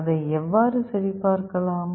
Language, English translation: Tamil, How will you check that